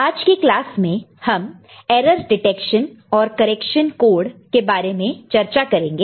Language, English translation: Hindi, Hello everybody, in today’s class we shall discuss Error Detection and Correction Code